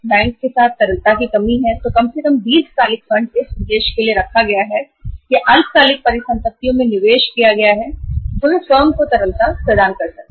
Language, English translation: Hindi, And if there is a lack of liquidity with the bank, with the firm, then at least the long term funds kept for the purpose or invested in the short term assets they can provide the liquidity to the firm